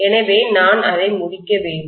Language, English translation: Tamil, So I should complete it